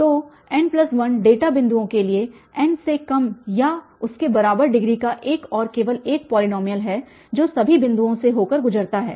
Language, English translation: Hindi, So, for n plus 1 data points there is one and only one polynomial of degree less than or equal to n that passes through all the points